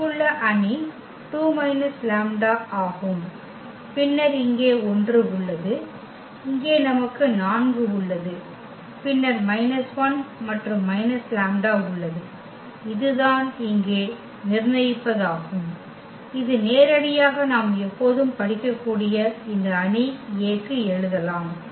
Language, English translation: Tamil, The matrix here is 2 minus lambda and then we have here 1 and here we have 4 and then minus 1 and the minus lambda, that is the determinant here which we can directly always we can read write down for this given matrix A